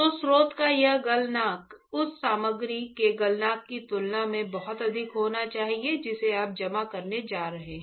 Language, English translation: Hindi, So, this melting point of the source should be extremely high compared to the melting point of the material that you are going to deposit, is not it